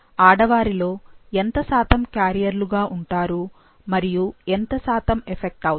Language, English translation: Telugu, What proportion of females will be carriers and what proportion will be affected